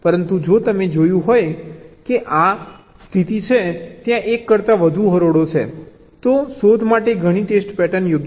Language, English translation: Gujarati, but if you had seen that there are more than one rows where this condition holds, then several test patterns are possible for detection